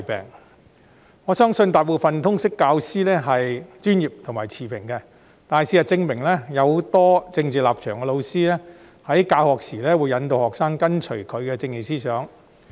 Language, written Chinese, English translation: Cantonese, 雖然我相信大部分通識教師都是專業持平的，但事實證明，很多有政治立場的教師在教學時，引導學生跟隨他們的政治思想。, While I believe most LS subject teachers are professional and impartial it is a proven fact that many teachers with political stances have led students to follow their political ideologies when teaching